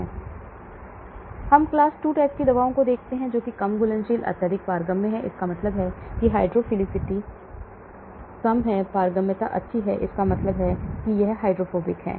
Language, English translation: Hindi, Now let us look at class 2 type of drugs, low solubility highly permeable, that means it is hydrophilicity is less permeability is good, that means it is hydrophobic